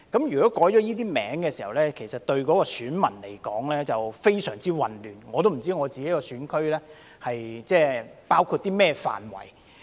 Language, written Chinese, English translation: Cantonese, 如果改了這些名稱，對選民而言會非常混亂，我也不知道我的選區包括甚麼範圍。, If they are named this way electors will be very confused and I do not even know what areas my GC will cover